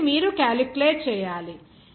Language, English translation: Telugu, So, that you have to calculate